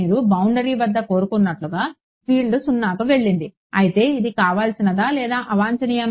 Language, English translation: Telugu, Field went to 0 like you wanted at the boundary, but is it desirable or undesirable